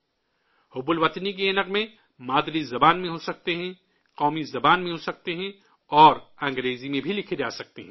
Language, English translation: Urdu, These patriotic songs can be in the mother tongue, can be in national language, and can be written in English too